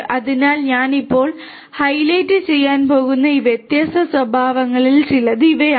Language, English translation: Malayalam, So, these are some of these different properties that I am going to highlight now